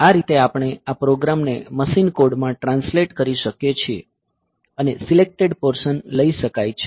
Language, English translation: Gujarati, So, this way we can have this we can have this program translated into machine code and have selected portion can be taken